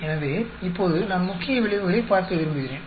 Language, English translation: Tamil, So now I want to look at the main effects